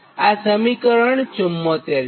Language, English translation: Gujarati, and this is actually equation seventy four